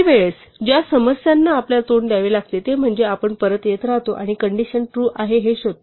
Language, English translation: Marathi, One of the problems that one could face with the while is that we keep coming back and finding that the condition is true